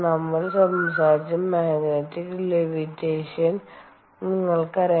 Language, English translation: Malayalam, ah, you know the magnetic levitation that we talked about